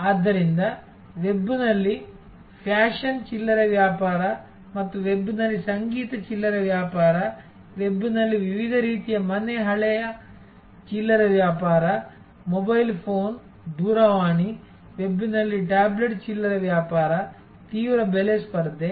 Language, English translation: Kannada, So, fashion retailing on the web a books and periodicals and music retailing on the web, different types of house old stuff retailing on the web, mobile phone, a telephone, tablet retailing on the web, intense price competition